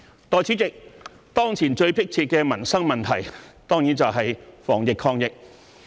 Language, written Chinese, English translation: Cantonese, 代理主席，當前最迫切的民生問題當然是防疫抗疫。, Deputy President the most pressing livelihood issue at present is certainly the fight against the epidemic